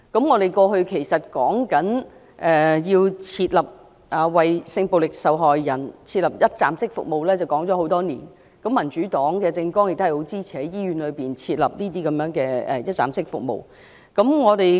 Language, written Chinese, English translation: Cantonese, 我們提出為性暴力受害人設立一站式服務的建議多年，民主黨的政綱亦支持在醫院設立這類一站式服務中心。, We have been proposing for many years to provide sexual violence victims with one - stop services . The Democratic Partys platform also supports setting up such one - stop CSCs in hospitals